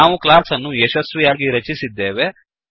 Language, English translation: Kannada, Thus we have successfully created a class